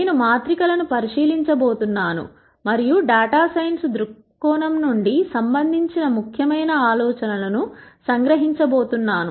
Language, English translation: Telugu, I am going to look at matrices and summarize the most important ideas that are relevant from a data science viewpoint